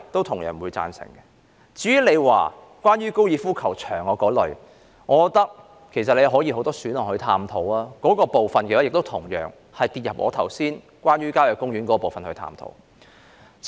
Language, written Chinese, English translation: Cantonese, 至於關乎高爾夫球場的建議，我覺得尚有很多選項可供探討，所以該建議落入我剛才就郊野公園作出的探討。, As for the suggestion relating to the golf course I think there are still many other options available for us to explore . So I consider my earlier discussion on country parks applicable to this suggestion